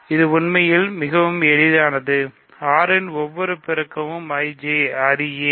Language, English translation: Tamil, This is actually much easier, every multiple of 6 is in IJ